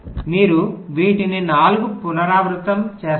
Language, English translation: Telugu, you repeat the process on these four